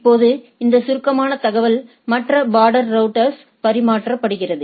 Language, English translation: Tamil, Now this summarized information are being exchanged with the other border routers right